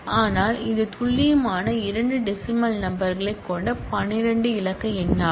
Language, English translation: Tamil, So, which is the 12 digit number with two decimal places of precision